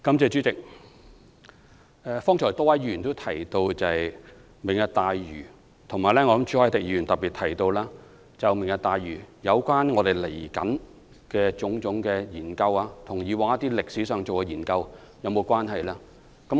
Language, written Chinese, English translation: Cantonese, 主席，剛才多位議員提到"明日大嶼"，朱凱廸議員特別提到有關"明日大嶼"未來的種種研究和以往進行的研究是否有關係。, President a number of Members have just spoken on Lantau Tomorrow with Mr CHU Hoi - dick questioning specifically whether the future studies of Lantau Tomorrow will have any relevance with the past studies